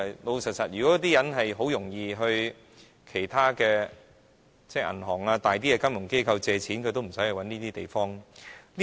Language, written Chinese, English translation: Cantonese, 老實說，如果他們很容易向銀行或大型金融機構借貸的話，也無須找這些中介。, Frankly if these people can easily borrow money from banks or sizable financial institutions they need not go to the intermediaries